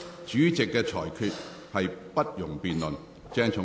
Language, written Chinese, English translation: Cantonese, 主席的裁決不容辯論。, No debate may arise on the Chairmans ruling